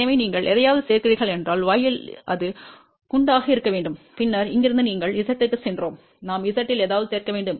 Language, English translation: Tamil, So, if you are adding something, in y it has to be in shunt and then from here you went to Z, we have to add something in z